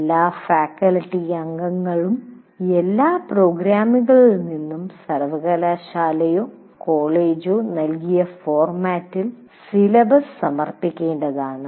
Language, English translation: Malayalam, But all faculty members will have to submit the syllabus in the format given by the university or college from all programs